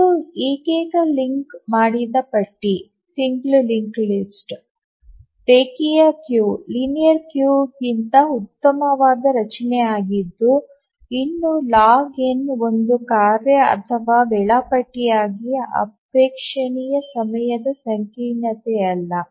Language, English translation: Kannada, So even though it is a better structure than a singly linked list a linear queue, but still log n is not a very desirable time complexity for a task for a scheduler